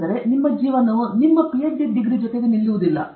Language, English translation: Kannada, So, your life doesn’t stop with your Ph